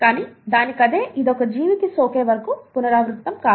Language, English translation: Telugu, But, on its own, this cannot replicate unless it infects a living organism